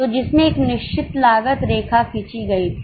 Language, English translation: Hindi, So, this is a line of fixed cost